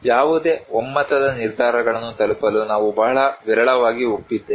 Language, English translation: Kannada, We have very rarely agreed to reach any consensus decisions